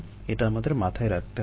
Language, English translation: Bengali, this we need to keep in mind